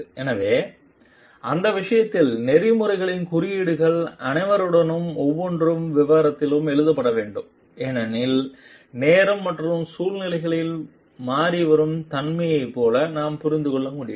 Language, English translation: Tamil, So, in that case like the a codes of ethics should be written in very details with all because from we can understand like with the changing nature of time and situations